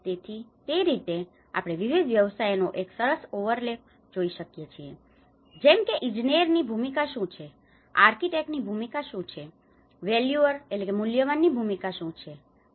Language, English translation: Gujarati, So, in that way, we can see a good overlap of various professions like what is the role of an engineer, what is the role of an architect, what is the role of a valuer you know